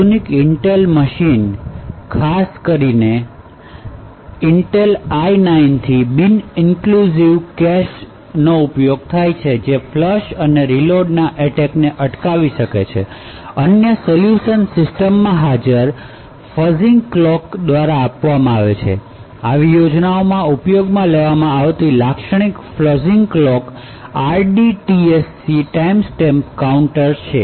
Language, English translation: Gujarati, So modern Intel machine especially from Intel I9 and so on have non inclusive caches which can prevent the flush and reload attacks, other solutions are by fuzzing clocks present in the system, typical clock that is used in such schemes the RDTSC timestamp counter